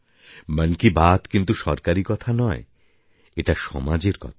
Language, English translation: Bengali, Mann Ki Baat is not about the Government it is about the society